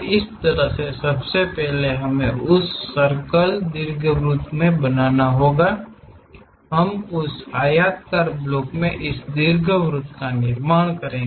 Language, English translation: Hindi, So, in the similar way first of all we have to construct that circle into ellipse so that, we will be having this ellipse on that rectangular block